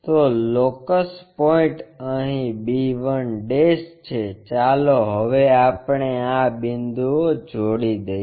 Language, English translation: Gujarati, So, the locus point is here b 1' now let us join these points